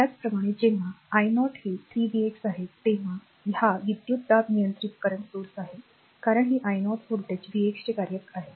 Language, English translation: Marathi, Similarly, this current when i 0 is 3 v x it is voltage controlled current source because this i 0 is function of the voltage v x